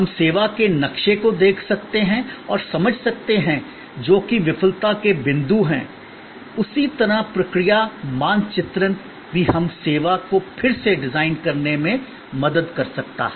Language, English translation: Hindi, We can look at the service map and understand, which are the failure points, in the same way process mapping can also help us to redesign a service